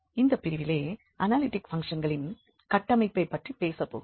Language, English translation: Tamil, And today we will be talking about analytic functions